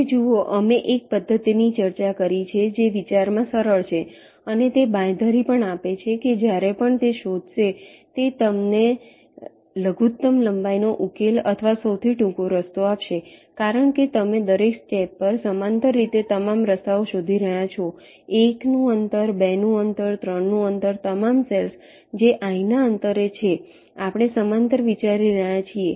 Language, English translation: Gujarati, now, see, we have ah discussed a method which is simple in concept and also it guarantees that it will give you the minimum length solution or the shortest path whenever it can find one, because you are exploring all paths parallely at each step, ah, distance of one, distance of two, distance of three, all the cells which are at a distance of i we are considering in parallel